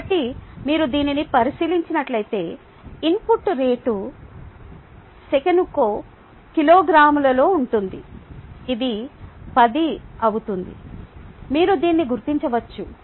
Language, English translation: Telugu, so if you take a look at this, if the input rate happens to be in kilograms per second, happens to be ten, you can figure this out